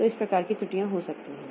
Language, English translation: Hindi, So that way there may be some errors